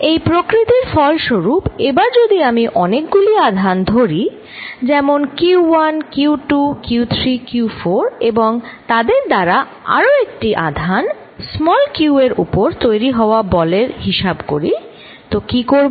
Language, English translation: Bengali, Now because of this nature; suppose I take now charge Q1, Q2, Q3, Q4 and so on, and try to find what is the force on a given charge q